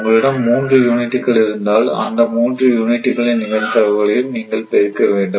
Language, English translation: Tamil, That is, you have to make the product you have 3 units probability of all this thing you have to multiply